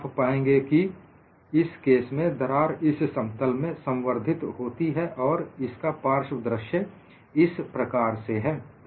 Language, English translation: Hindi, You will find, in this case, the crack proceeds in the plane, and the side view is like this